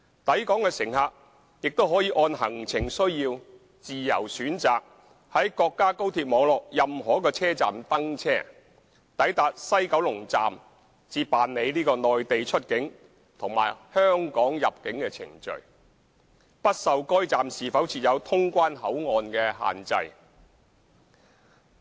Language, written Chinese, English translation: Cantonese, 抵港乘客亦可按行程需要自由選擇在國家高鐵網絡任何一個車站登車，抵達西九龍站才辦理內地出境和香港入境程序，不受該站是否設有通關口岸所限制。, Passengers coming to Hong Kong can board trains at any station of their choice on the national high - speed rail network depending on their itineraries and go through Mainland departure clearance and Hong Kong arrival clearance at the West Kowloon Station . They will not be constrained by whether a particular station has clearance facilities